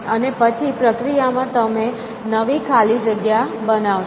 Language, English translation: Gujarati, And then in the process you will create the new blanks